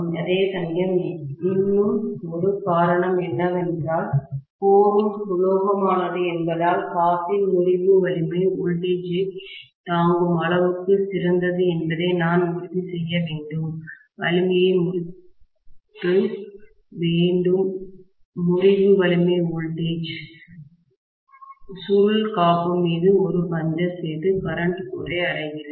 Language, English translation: Tamil, Whereas, one more reason is because the core is also metallic, I need to make sure that the breakdown strength of the insulation is good enough to withstand the voltage, or the coil making a puncture onto the insulation and reaching out for the current into the core